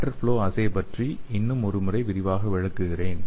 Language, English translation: Tamil, So let me explain the lateral flow assay one more time in detail